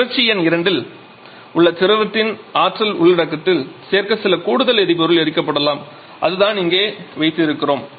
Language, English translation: Tamil, May be some additional amount of fuel is burned to be added to the energy content of the fluid in cycle number 2 that is what we are having here